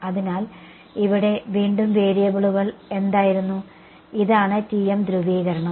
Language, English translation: Malayalam, So, what were the variables over here again this is TM polarization